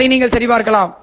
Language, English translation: Tamil, You can verify that